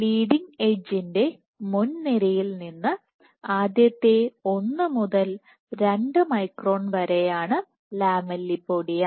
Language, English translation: Malayalam, So, this, lamellipodia is within first 1 to 2 microns from the leading edge